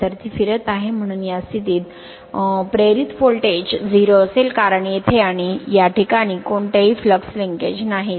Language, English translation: Marathi, So, it is revolving, so at this position the voltage induced will be 0, because no flux linkage here and here at this position